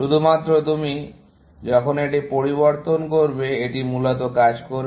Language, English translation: Bengali, Only, when you change this, it is going to work, essentially